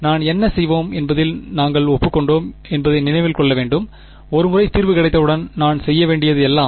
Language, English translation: Tamil, I have to remember we had agreed on what we will do, once I have got the solution all that I have to do is